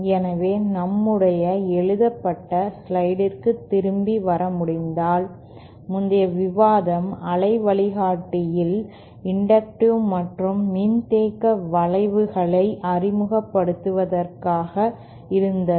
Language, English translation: Tamil, So, if we can come back to our written slide, so some of the others, so this is like that the previous this discussion was for introducing inductive and capacitive effects in waveguide